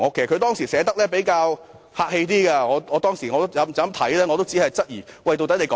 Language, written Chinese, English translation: Cantonese, 她當時寫得比較客氣，而我讀畢後也只是質疑她在說甚麼。, Her wording at the time was relatively mild and after reading it I only wondered what she meant